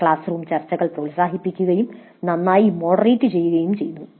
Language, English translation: Malayalam, Classroom discussions were encouraged and were well moderated